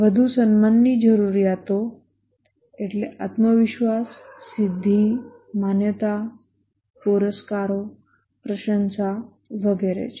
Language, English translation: Gujarati, The esteem needs are self confidence, achievement, recognition, awards, appreciation and so on